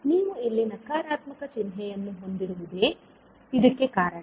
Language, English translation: Kannada, So, this is because you have the negative sign here